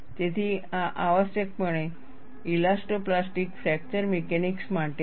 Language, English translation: Gujarati, So, these are meant for essentially, elastoplastic fracture mechanics